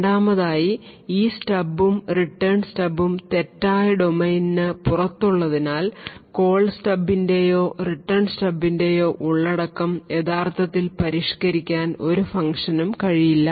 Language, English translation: Malayalam, Second this stub and Return Stub are present outside the fault domain so therefore it would not be possible for any function to actually modify the contents of the Call Stub or the Return Stub